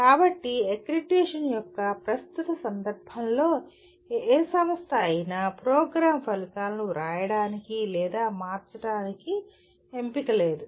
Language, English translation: Telugu, So no institution as of in the current context of accreditation has choice of writing or changing the program outcomes